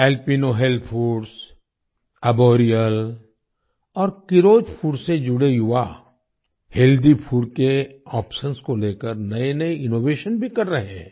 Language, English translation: Hindi, The youth associated with Alpino Health Foods, Arboreal and Keeros Foods are also making new innovations regarding healthy food options